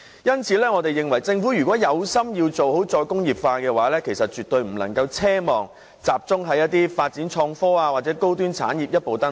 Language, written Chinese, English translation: Cantonese, 因此，我們認為如果政府是有心做好"再工業化"的話，便絕對不能奢望集中發展創科或高端產業可以一步登天。, Hence we think that if the Government is determined to implement re - industrialization it definitely should not expect that reliance on the development of innovation and technology or high - end industries will achieve the goal overnight . It will merely be wishful thinking